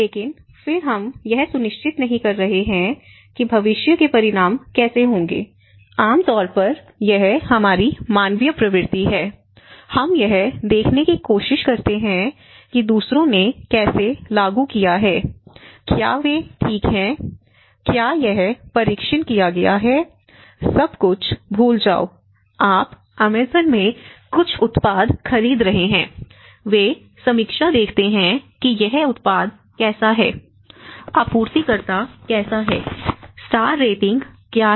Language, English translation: Hindi, But then we are not sure how it is going to have a future consequences so, normally it is our human tendency, we try to see that how others have implemented, are they okay, has it been tested, forget about everything, just take a small thing, you are buying some product in Amazon, many of them I have seen when they look at it they see the reviews, they reviews how this product is, they reviews how that supplier is, what is the star ratings